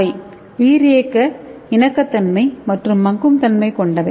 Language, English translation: Tamil, That means highly biocompatible and biodegradable